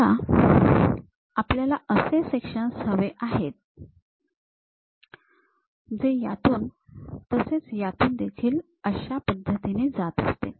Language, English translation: Marathi, Now, we would like to have a section passing through that and also passing through that in that way